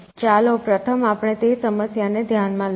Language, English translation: Gujarati, So, let us first address that problem